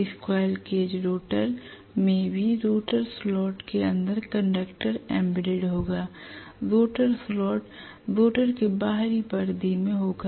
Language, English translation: Hindi, Definitely the squirrel cage rotor will also be having the conductor embedded inside the rotor slot, the rotor slot will be in the outer periphery of the rotor